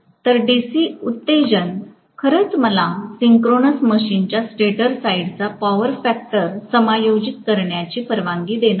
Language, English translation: Marathi, So the DC excitation actually is going to allow me to adjust the power factor of the stator side of a synchronous machine